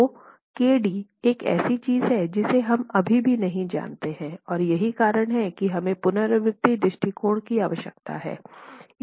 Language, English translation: Hindi, So KD is something we still don't know and is the reason why we need to have an iterative approach